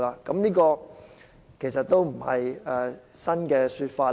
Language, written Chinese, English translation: Cantonese, 這其實也不是新的說法。, This is actually not a new claim